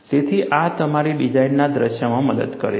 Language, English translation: Gujarati, So, this helps in your design scenario